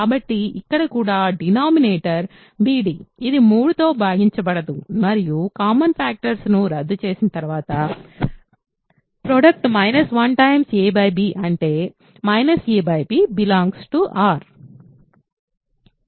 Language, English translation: Telugu, So, here also denominator is bd which is not divisible by 3 and after cancelling common factors what you get is still not divisible by 3